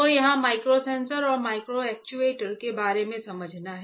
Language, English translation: Hindi, So, our part here is to understand about microsensors and microactuators